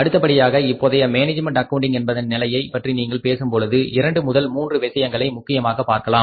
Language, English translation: Tamil, Then is the if you talk about the current management accounting trends then we can see here that some two three things are important here